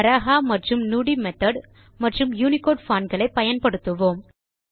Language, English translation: Tamil, We will use Baraha method, the Nudi method and the UNICODE fonts